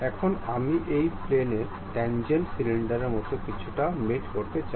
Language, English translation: Bengali, Now, I would like to really mate this surface tangent to something like a cylinder